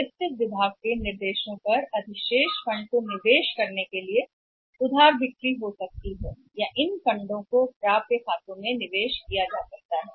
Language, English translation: Hindi, On the instruction of the finance department to park the surplus funds the credit sales can be done and surplus funds can be parked was invested in the accounts receivables